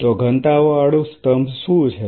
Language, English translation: Gujarati, So, what is the density gradient column